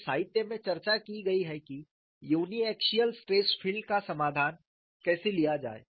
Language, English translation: Hindi, So, there has been discussion in the literature, how to take the solution for uniaxial stress field